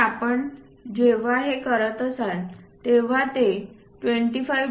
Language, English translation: Marathi, Perhaps when you are making this is ranging from 25